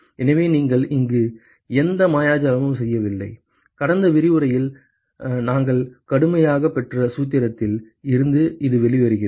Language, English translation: Tamil, So, we have not done any magic here, it just comes out from the formula, which we had derived rigorously in the last lecture